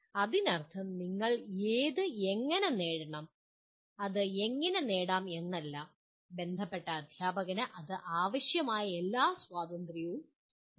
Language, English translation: Malayalam, It does not mean how you need to achieve that, how you can achieve that is all the, the concerned teacher has all the required freedom for that